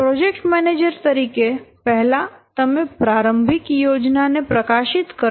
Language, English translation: Gujarati, As a project manager, you have made the initial plan, then you publishize it